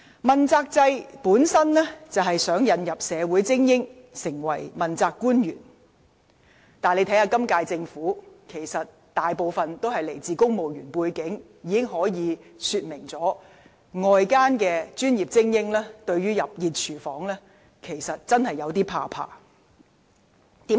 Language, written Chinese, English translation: Cantonese, 問責制旨在引入社會精英成為問責官員，但今屆政府大部分官員都來自公務員體系，可見外界專業精英對進入"熱廚房"真的有點恐懼。, The accountability system seeks to invite social elites to become accountability officials . However most principal officials under the current Administration come from the civil service . Apparently elite professionals outside the Government really have some fear about entering the hot kitchen